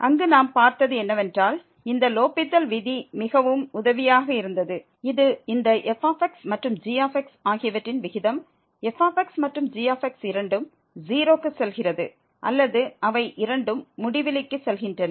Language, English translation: Tamil, There what we have seen that this L’Hospital rule was very helpful which says that the ratio of this and where and both either goes to 0 or they both go to infinity